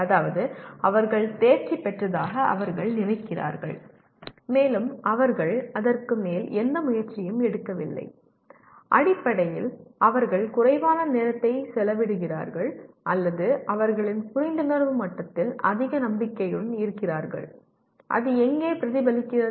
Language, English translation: Tamil, That means they think they have mastered and they do not put any further effort in that and essentially they spend lot less time or grossly overconfident in their level of understanding and where does it get reflected